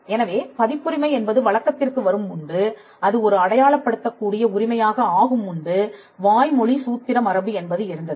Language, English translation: Tamil, So, before copyright actually came into existence or before copyright became a recognizable right, there was the oral formulaic tradition